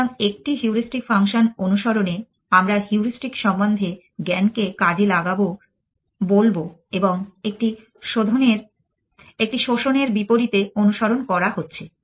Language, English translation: Bengali, So, going with a heuristic function we will call exploitation of the heuristic knowledge and as oppose to a exploitation is following